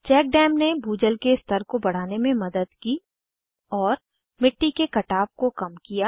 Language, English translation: Hindi, Check dams helped in increasing the ground water table and reduce soil erosion